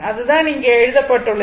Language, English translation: Tamil, That is what is written here, right